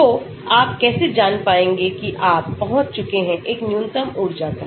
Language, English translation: Hindi, So, how do you know you have reached a minimum energy